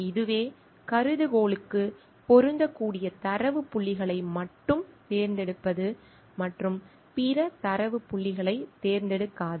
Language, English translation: Tamil, This is what selecting only those data points which will fit the hypothesis and not selecting other data points